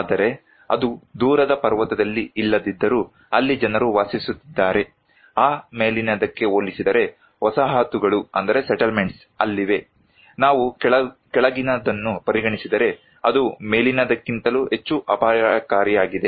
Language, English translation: Kannada, But maybe if it is not in a remote mountain but people are living there, settlements are there compared to that top one, if we consider the bottom one to us, it is more risky than the top one